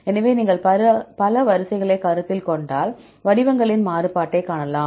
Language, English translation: Tamil, So, if you consider several sequences you can see the variation in the patterns